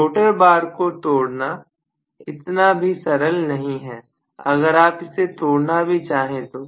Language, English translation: Hindi, It is not easy to break the rotor bar even if you want to break a rotor bar